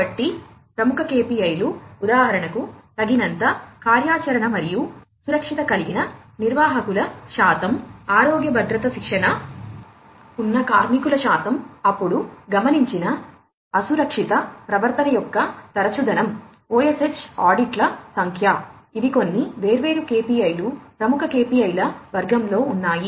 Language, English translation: Telugu, So, leading KPIs for example, percentage of managers with adequate operational and safety, health safety training, percentage of workers with adequate operational and safety training, then, frequency of observed unsafe behavior, number of OSH audits, these are some of these different KPIs under the leading KPIs category